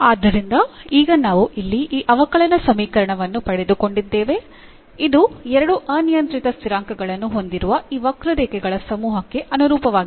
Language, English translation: Kannada, So, now, we got this differential equation here, which corresponds to this family of curves with two parameters